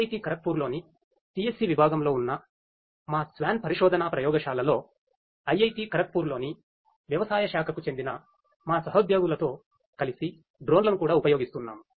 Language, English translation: Telugu, And in our research lab the SWAN research lab in the department of CSE at IIT Kharagpur we are also using drones along with our colleagues from agricultural department at IIT Kharagpur we are using drones of different types for precision agriculture